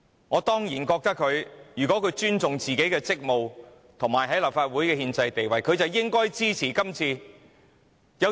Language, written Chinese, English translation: Cantonese, 我固然認為如果他們尊重自己的職務及立法會的憲制地位，便應該支持這項議案。, Of course in my opinion if they respect their duties and the constitutional status of the Legislative Council they should support this motion